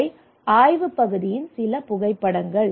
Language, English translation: Tamil, So this is some of the photographs during the survey